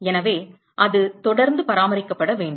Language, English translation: Tamil, So, it has to be maintained constant